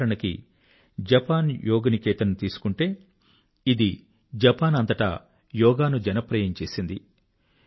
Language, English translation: Telugu, For example, take 'Japan Yoga Niketan', which has made Yoga popular throughout Japan